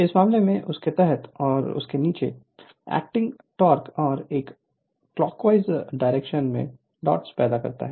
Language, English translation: Hindi, So, in this case under that and it produces downward acting forces and a counter clockwise dots right